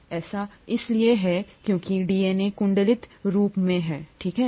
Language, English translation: Hindi, That is because the DNA is in a coiled form, okay